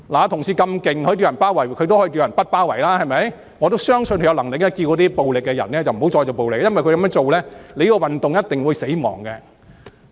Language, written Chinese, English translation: Cantonese, 同事這麼厲害，可以叫人包圍，他當然也可以叫人不包圍立法會，我相信他有能力呼籲行使暴力的人不要再使用暴力，因為他們這樣做，這個運動便一定會死亡。, This colleague is so awesome as to be able to tell people to besiege the Legislative Council and surely he can tell people not to besiege the Legislative Council . I believe he has the ability to appeal to people using violence to cease the violence . It is because their doing so will definitely lead to the demise of this movement